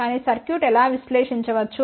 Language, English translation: Telugu, But how the circuit can be analysed